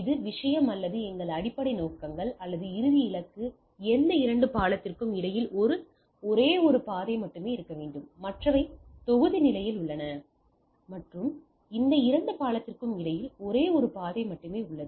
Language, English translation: Tamil, So, this is the thing or our basic objectives is or the final goal is to have there is only one path between any two bridge, so other are in block stage and there are only one path between any two bridge